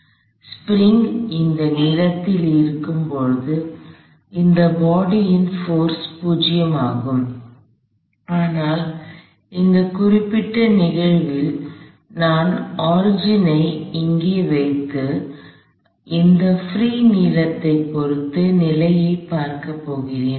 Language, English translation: Tamil, So, the force on this body is 0 when the spring is of that length, but in this particular instance I am going to place my origin there and look at the position with respect to that free length